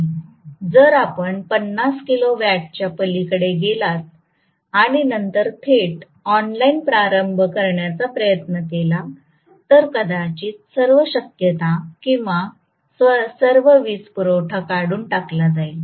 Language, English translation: Marathi, If you go beyond 50 kilo watt and then try to do direct online starting, may in all probability or all power supply will be removed